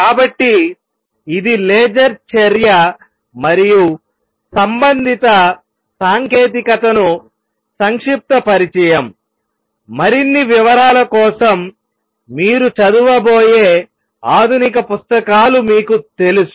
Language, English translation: Telugu, So, this is a brief introduction to the laser action and the related technology right for more details you may going to read you know advanced books